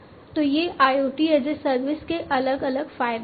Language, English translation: Hindi, So, these are different advantages of IoT as a service